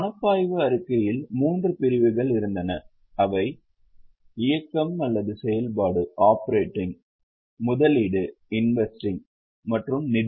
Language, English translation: Tamil, So, cash flow statement had three categories operating, investing and financing